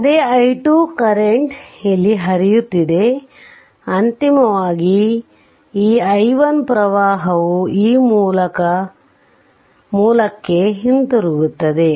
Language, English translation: Kannada, So, finally, this i 1 current will return to the this source right